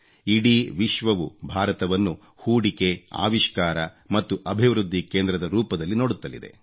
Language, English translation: Kannada, The whole world is looking at India as a hub for investment innovation and development